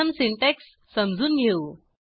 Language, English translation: Marathi, Let us understand the syntax first